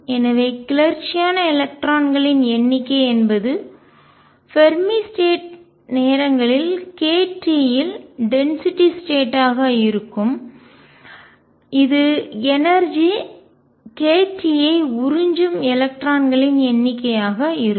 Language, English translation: Tamil, So, number of electrons exited is going to be density of states at the Fermi level times k t, this is going to be number of electrons absorbing energy k t